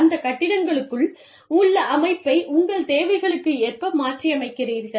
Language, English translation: Tamil, And, you adapt the setup, within those buildings, to your needs